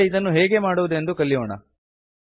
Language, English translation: Kannada, Let us now learn how to do this